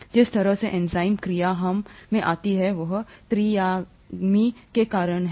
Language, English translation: Hindi, The way the enzyme action comes in we said was because of the three dimensional folding